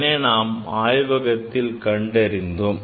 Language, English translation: Tamil, We have demonstrated in the laboratory